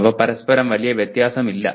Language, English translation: Malayalam, They are not at great variance with each other